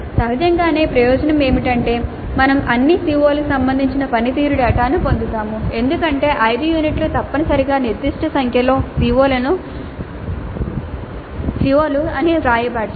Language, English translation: Telugu, Obviously the advantage is that we get performance data regarding all COs because the five units essentially are written down as certain number of COs